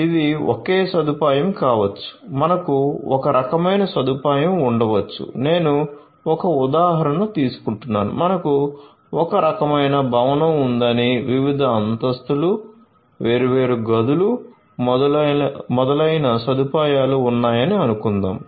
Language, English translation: Telugu, It could be a single facility single facility we could have a single facility where we could have some kind of I am just taking an example let us say that we have some kind of a building a facility right having different floors different floors, different rooms, etcetera and so on